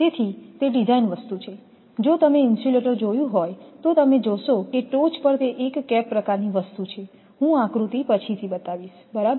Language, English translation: Gujarati, So, that is that design thing, if you have if you have seen the insulator you will see that on the top it is a cap type of thing I will come to the diagram later right